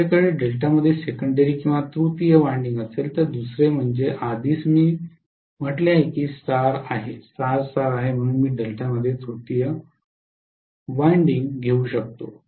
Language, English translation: Marathi, If I have a secondary winding or a tertiary winding in delta, secondly winding already I said is star, star star so I can have a tertiary winding in delta